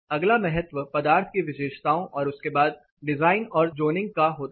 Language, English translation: Hindi, The next weightage is given to material property followed by design and zoning